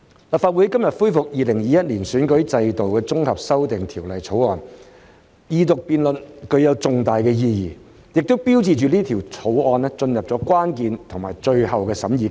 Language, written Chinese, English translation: Cantonese, 立法會今天恢復《2021年完善選舉制度條例草案》的二讀辯論，具有重大意義，亦標誌着《條例草案》進入關鍵的最後審議階段。, Today the Legislative Council resumes the Second Reading debate on the Improving Electoral System Bill 2021 the Bill . This carries great significance and marks that the Bill has entered the critical and final stage of scrutiny